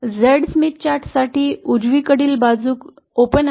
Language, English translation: Marathi, For the Z Smith chart, the right hand side is open